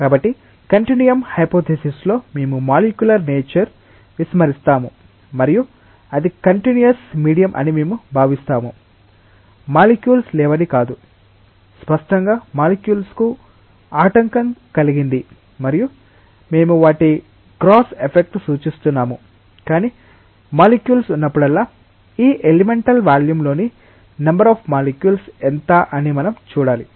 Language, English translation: Telugu, So, if we remember that in the continuum hypothesis, we disregard the molecular nature and we just consider that it is a continuous medium, does not mean that there are no molecules but; obviously, were obstructed of the molecules and we are just representing the their gross effect, but whenever there are molecules we have to see that what is the number of molecules within this elemental volume